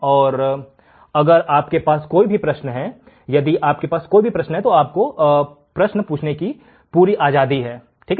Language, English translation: Hindi, And if you have an query you can ask, if you have an query feel free to ask